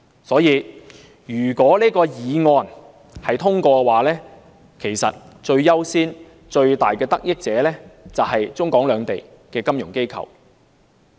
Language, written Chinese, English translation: Cantonese, 所以，如果擬議決議案獲得通過，最優先和最大的得益者就是中港兩地的金融機構。, Hence with the passage of the proposed Resolution the first and biggest beneficiaries will be the financial institutions of both the Mainland and Hong Kong